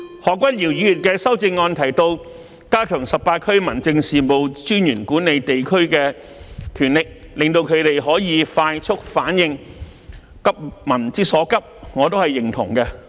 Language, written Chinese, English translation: Cantonese, 何君堯議員的修正案提到"加強十八區民政事務專員管理地區的權力，令他們可以快速反應，急民之所急"，我表示認同。, I agree with the amendment proposed by Dr Junius HO about strengthening the powers of the 18 District Officers over the administration of the districts so that they can make rapid response and act proactively to address the concerns of the people promptly